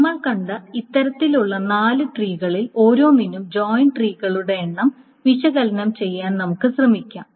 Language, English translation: Malayalam, Now let us try to analyze the number of joint trees for each of this kind of four trees that we have seen